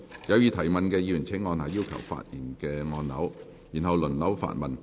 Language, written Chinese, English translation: Cantonese, 有意提問的議員請按下"要求發言"按鈕，然後輪候發問。, Members who wish to ask questions will please press the Request to speak button and then wait for their turn